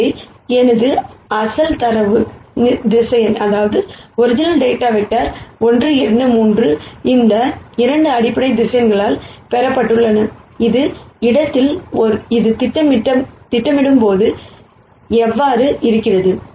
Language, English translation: Tamil, So, my original data vector 1 2 3, when it is projected onto a space spanned by these 2 basis vectors becomes this